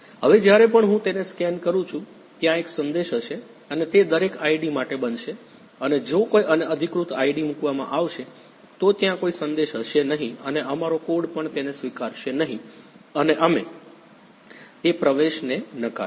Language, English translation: Gujarati, Now whenever I scan it, there will be a message and that will happen for every ID and if some unauthorized ID is placed, then there will be no message and even our code will not accept it and we will simply reject that entry